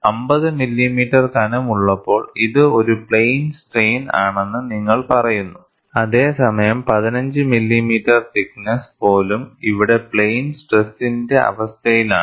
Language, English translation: Malayalam, You say it is plane strain, when it is about 50 millimeter thickness; whereas, here, even a 15 millimeter thickness is in a situation of plane strain condition